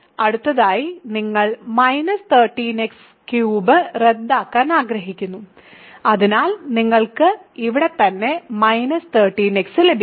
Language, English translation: Malayalam, So, next you want to cancel minus 13 x cubed, so you get minus 13 x here right